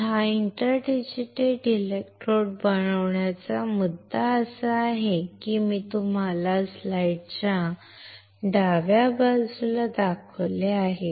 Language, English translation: Marathi, The point is of making this interdigital electrode is like I have shown you on the left side of the slide